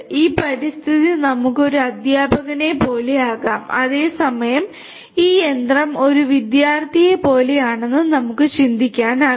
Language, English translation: Malayalam, You have this environment this environment we can think of to be like a teacher whereas, this machine we can think of to be like a student like a student